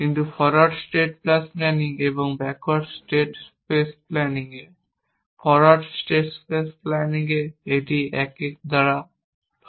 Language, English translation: Bengali, But in forward state space planning and in backward state space planning, a forward state space planning you says this is s; this is by a 1